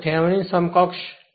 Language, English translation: Gujarati, Now, it is that Thevenin equivalent